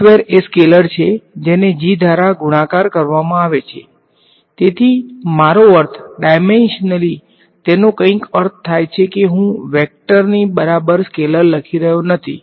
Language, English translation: Gujarati, Del squared of a scalar is scalar multiplied by g right, so, at least I mean dimensionally it make sense I am not writing scalar equal to vector